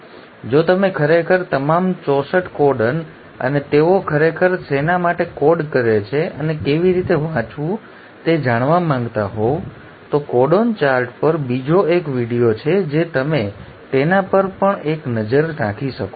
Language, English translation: Gujarati, And if you really want to know all the 64 codons and what they really code for and how to read the there is another video on codon chart you can have a look at that too